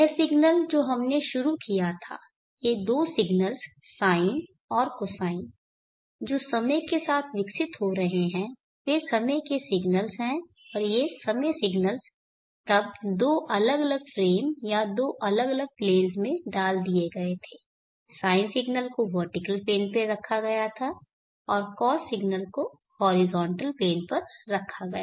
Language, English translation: Hindi, This signal which we started with these two signals the sine and the cosine which are evolving along time they are time signals and these time signals were then put into two different flavoring or two different planes the sine signal was put on the vertical plane and the cost signal was put on the horizontal plane